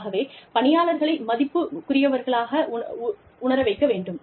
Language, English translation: Tamil, So, make employees, feel valued